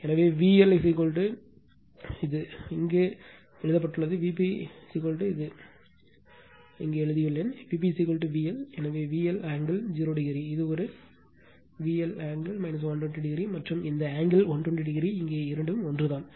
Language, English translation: Tamil, So, V L is equal to here it is written here, V p is equal to here I have written here V p is equal to V L right therefore, V L angle 0 degree this one is equal to V L angle minus 120 degree and this angle 120 degree here, both are same